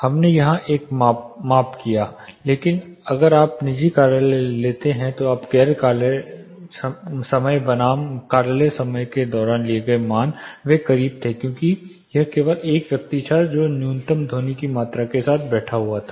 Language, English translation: Hindi, We did a measurement there, but if you take private offices you found during non office hours versus office hours they were more or less closer because just it was one person occupying with minimum amount of machineries sound